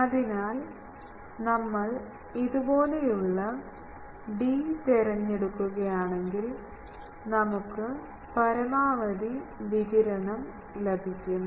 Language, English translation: Malayalam, So, if we choose d like this, we can get maximum radiation in direction